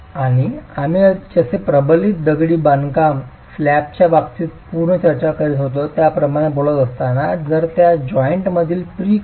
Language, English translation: Marathi, And as we were talking as we were discussing earlier in the case of the reinforced concrete slab, if the pre compression at that joint is about 0